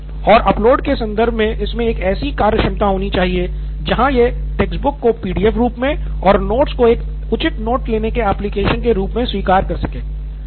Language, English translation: Hindi, And in terms of upload, it should have a functionality where it can accept textbooks in terms of PDFs and notebooks in terms of a proper note taking application